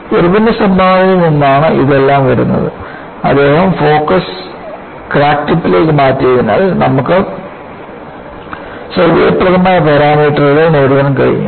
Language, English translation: Malayalam, So, all that comes from contribution by Irwin; just because he shifted the focus to the crack tip, we were able to get convenient parameters